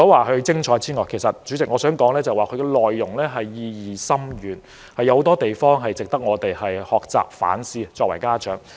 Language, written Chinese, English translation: Cantonese, 代理主席，這齣音樂劇除了精彩之外，意義也深遠，有很多值得我們家長學習和反思的地方。, Deputy President the musical is not only impressive it also has a profound meaning and it makes parents learn and review on their situation